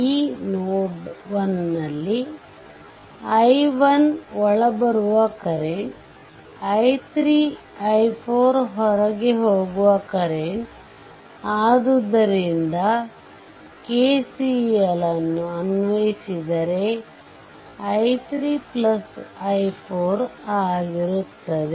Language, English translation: Kannada, So, at this node node 1 I am putting it here look i 1, this is the incoming current and i 3 i 4 is outgoing currents so, i 3 plus i 4 if you apply KCL right